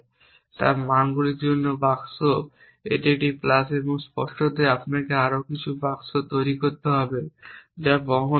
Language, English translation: Bengali, an creating are boxes for values this a plus and obviously you must create some more boxes which are for carry over